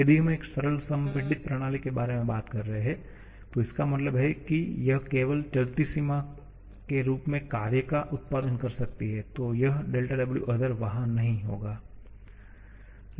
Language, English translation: Hindi, If we are talking about a simple compressible system, that means it can produce work only in the form of moving boundary work, then this del W other will not be there